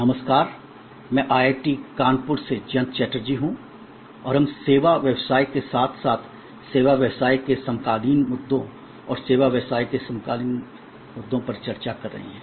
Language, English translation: Hindi, Hello, I am Jayanta Chatterjee from IIT, Kanpur and we are discussing Managing Services and the contemporary issues in service business as well as in the area of all businesses in general with the logic of service dominant operations